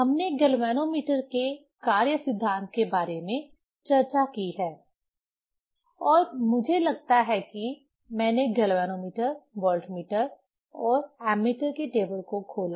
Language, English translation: Hindi, We have discussed about the working principle of the galvanometer and I think I opened the table galvanometer, voltmeter and ammeter